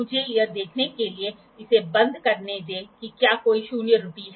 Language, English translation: Hindi, Let me close it to see is there any zero error